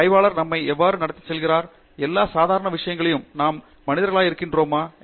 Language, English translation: Tamil, How does a researcher place ourselves and so in all normal things we are just humans